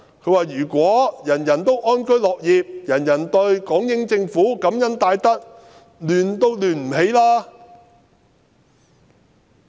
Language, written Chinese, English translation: Cantonese, 他說："如果人人安居樂業，人人對港英政府感恩戴德，想亂也亂不起來。, He said to this effect Had everyone lived in peace worked with contentment and felt deeply grateful to the British Hong Kong Government no chaos could have taken place even if anyone so wished